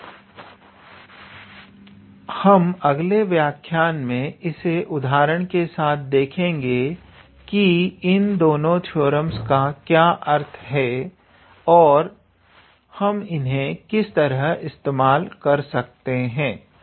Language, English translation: Hindi, And we will see via some example in our next lecture, what do we mean by these two theorems and where how can we apply them